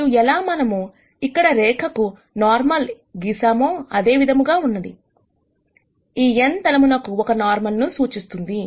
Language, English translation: Telugu, And very similar to how we drew the normal to the line here, this n would represent a normal to the plane